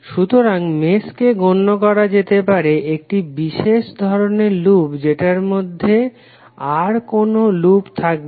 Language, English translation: Bengali, So mesh can be considered as a special kind of loop which does not contain any other loop within it